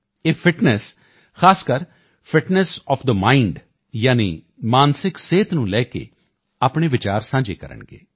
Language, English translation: Punjabi, He will share his views regarding Fitness, especially Fitness of the Mind, i